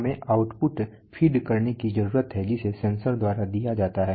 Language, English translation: Hindi, We need to feed the output so that is done by the sensor